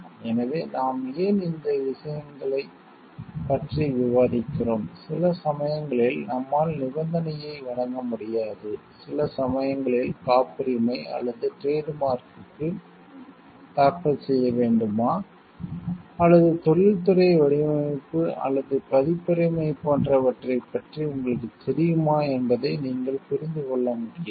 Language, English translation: Tamil, So, why we are discussing this finer things is, sometimes we are not able given a condition, sometimes you are not sure to understand whether to file for a patent or trademark or you know like industrial design or a copyright